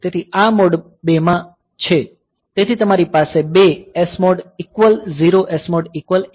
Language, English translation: Gujarati, So, this is if it is in mode 2; so, you have got two SMOD is equal 0 SMOD equal to 1